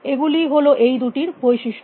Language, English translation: Bengali, These were the two characteristics of these two